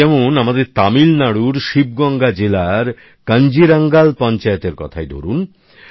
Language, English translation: Bengali, Now look at our Kanjirangal Panchayat of Sivaganga district in Tamil Nadu